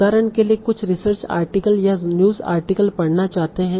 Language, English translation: Hindi, So for example, suppose you want to read certain research article or a news article